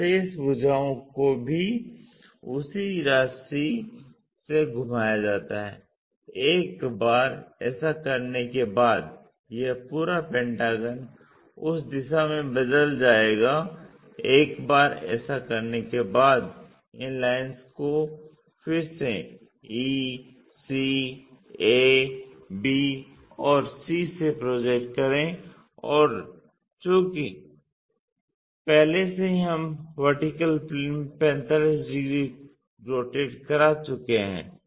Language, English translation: Hindi, So, remaining sides also rotated by the same amount, once that is done this entire pentagon will be turned into that direction, once that is done again project these lines from e, c, a, b and c and already we have rotated into 45 degreesin the vertical plane